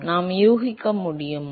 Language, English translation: Tamil, Can we guess